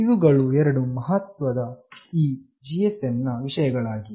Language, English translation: Kannada, These are the two important aspect of this GSM